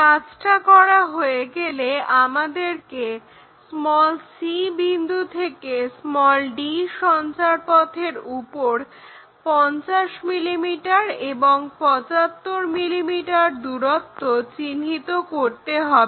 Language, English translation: Bengali, Once that is done, we have to make 50 mm and 75 mm distances on locus d from c